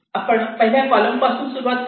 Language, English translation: Marathi, here we start with the first column